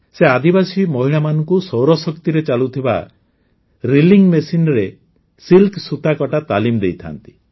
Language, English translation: Odia, She trains tribal women to spin silk on a solarpowered reeling machine